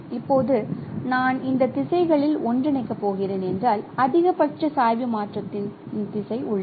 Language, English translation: Tamil, Now if I am going to interpolate along these directions there is a there is a direction of maximum gradient change